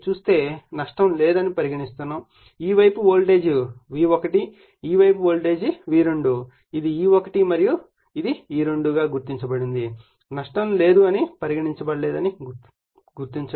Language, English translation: Telugu, So, we are assuming there is no loss right so, and this side is voltage V1 this side is voltage V2; that means, this is if it is marked that this is my E1 and here also it is my E2 we are assuming there is no loss